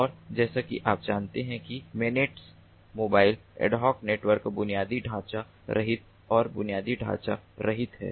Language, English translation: Hindi, and ah, as we know that manets, mobile ad hoc networks are infrastructure less and infrastructure less